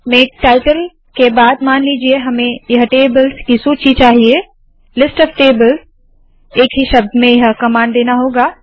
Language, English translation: Hindi, After the make title, suppose we want this list of tables one word, is the command